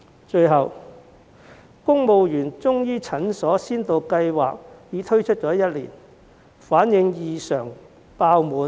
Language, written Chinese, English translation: Cantonese, 最後，公務員中醫診所先導計劃已推出1年，結果異常爆滿。, Lastly the pilot scheme on Civil Service Chinese medicine CM Clinics has been launched for a year . It turns out that the CM clinics have been fully booked